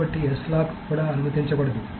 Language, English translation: Telugu, So S lock cannot be allowed as well